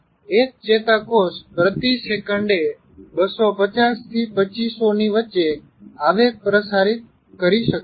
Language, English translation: Gujarati, A neuron can transmit between 250 to 2,500 impulses per second